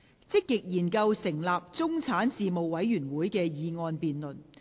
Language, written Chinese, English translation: Cantonese, "積極研究成立中產事務委員會"的議案辯論。, The motion debate on Actively studying the establishment of a middle class commission